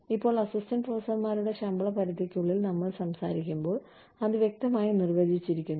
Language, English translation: Malayalam, Now, when we talk about, within the pay range for assistant professors, is clearly defined